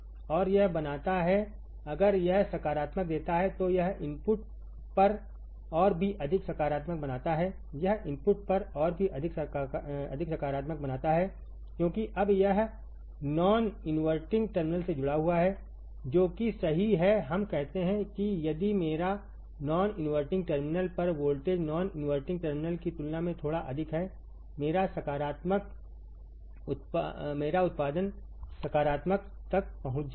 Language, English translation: Hindi, And this makes if this gives positive this makes even more positive at the input this makes even more positive at the input because now it is connected to the non inverting terminal right what, we say is that if my if my voltage at the non inverting terminal is slightly greater than the non inverting terminal my output will reach to positive